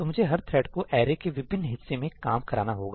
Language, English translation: Hindi, let me have each thread work on different parts of the array